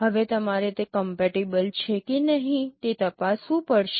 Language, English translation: Gujarati, Now you have to check whether they are compatible or not